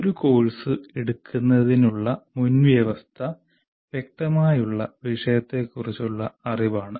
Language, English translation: Malayalam, The prerequisite, obviously to offer a course, is the knowledge of subject matter